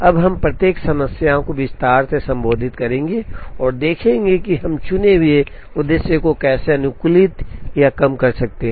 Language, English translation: Hindi, We will now address each one of the problems in detail, and see how we can optimize or minimize the chosen objective